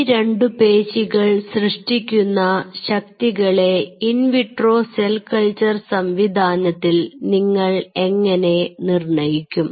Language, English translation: Malayalam, measuring the force generated by muscle in an in vitro cell culture system